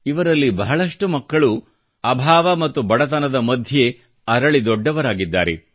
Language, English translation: Kannada, Many of these children grew up amidst dearth and poverty